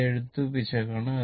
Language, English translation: Malayalam, This is my writing error